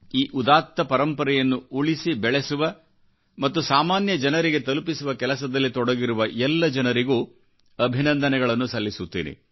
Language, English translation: Kannada, I congratulate all those actively involved in preserving & conserving this glorious heritage, helping it to reach out to the masses